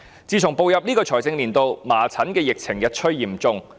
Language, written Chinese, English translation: Cantonese, 自從步入本財政年度以來，麻疹疫情日趨嚴重。, Since the beginning of this financial year the measles epidemic has been growing increasingly serious